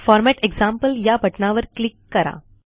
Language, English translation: Marathi, Click the Format example button